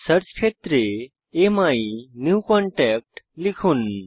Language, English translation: Bengali, In the Search field, enter AMyNewContact